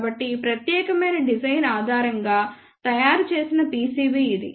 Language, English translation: Telugu, So, this is the fabricated pcb based on this particular design